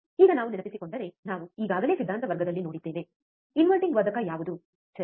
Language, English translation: Kannada, Now if you recall, we have already seen in the theory class, what exactly the inverting amplifier is right